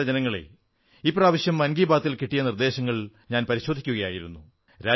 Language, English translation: Malayalam, I was looking into the suggestions received for "Mann Ki Baat"